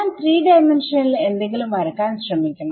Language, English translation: Malayalam, So, I have to try to draw something in 3D